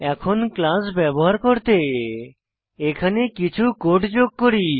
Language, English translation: Bengali, Now let us make the class useful by adding some variables